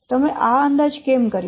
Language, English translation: Gujarati, Why you have done this estimate